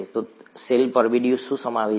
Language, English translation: Gujarati, So what does the cell envelope contain